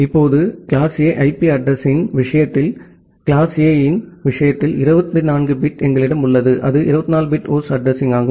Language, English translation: Tamil, Now in case of class A IP address, we have 24 bit in case of class A in case of class A, it was 24 bit host address